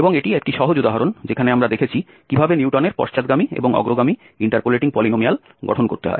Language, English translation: Bengali, Next example, we have the data given and we want to construct Newton's forward interpolation polynomial